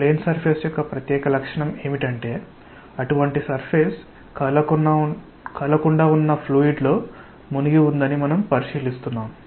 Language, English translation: Telugu, What is the special characteristic of the plane surface that is such a surface that we are considering that is immersed in fluid at rest